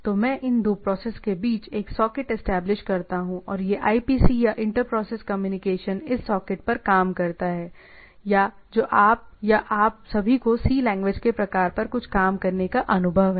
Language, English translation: Hindi, So, what we say, that I establish a socket between these two processes and this IPC or Inter Process Communication works over this socket or those who are or all of you have some working experience on C or type of languages